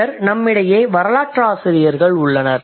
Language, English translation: Tamil, Then there are historians that we have with us